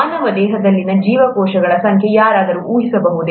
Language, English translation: Kannada, Can anybody guess the number of cells in the human body